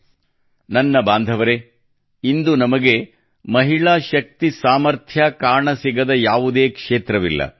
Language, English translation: Kannada, My family members, today there is no area of life where we are not able to see the capacity potential of woman power